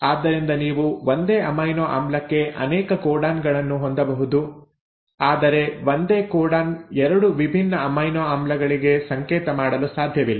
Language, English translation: Kannada, So you can have multiple codons for the same amino acid but a single codon cannot code for 2 different amino acids